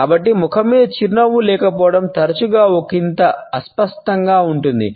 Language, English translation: Telugu, So, the absence of a smile on a face can often be disconcerting